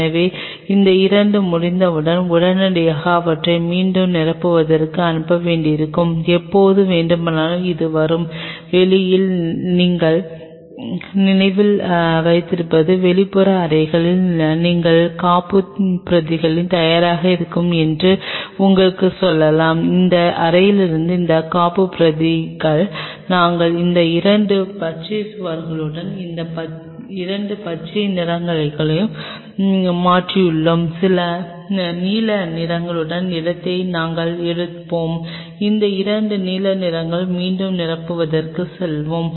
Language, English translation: Tamil, So, as soon as these two are over will have to immediately send them for refill and in anytime this will come and from you remember on the outside you might told you that outer room you will have the backups ready, those backups from that room we will come and replace these two green walls and these two green one we will take the place of the blue ones, and these two blue ones we will go for refilling